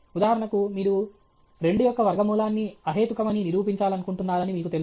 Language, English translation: Telugu, For example, you know that you want to prove root 2 is irrational